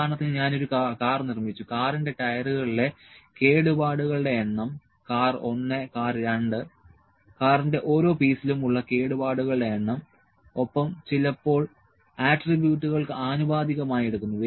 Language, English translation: Malayalam, For instance, I manufactured a car, number of defects or the number of defects in the tyres of the car ok car 1, car 2 number of defects per piece of the car number of defects per piece and sometime proportionally taken those are variables